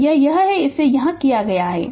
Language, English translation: Hindi, So, that is that is whatever we have done it here